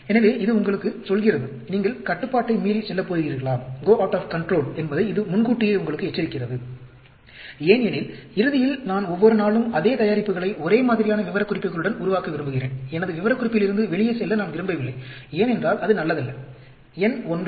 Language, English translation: Tamil, So, it tells you, it warns you apriori, whether you are going to go out of control; because, ultimately, I want to make every day, the same product with the same specifications; I do not want to go out of my specification, because, that is not good, number 1